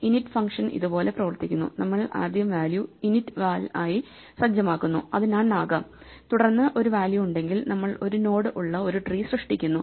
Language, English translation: Malayalam, The init function works as follows right, we first setup the value to be initval which could be none if there is a value, then we create an tree with one node in which case we have to create these empty nodes